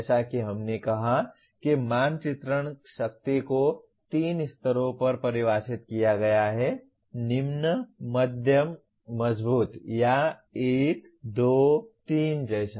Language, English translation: Hindi, As we said the mapping strength is defined at 3 levels; low, medium, strong or 1, 2, 3 like that